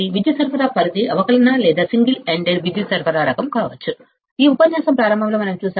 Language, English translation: Telugu, Power supply range may be the differential or single ended power supply kind, we have seen in the starting of this lecture